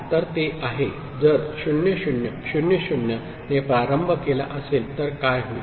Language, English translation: Marathi, So, it is if it is initialised with say 0 0 0 0, what’ll happen